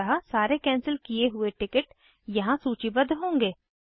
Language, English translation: Hindi, So all the canceled ticket will be listed here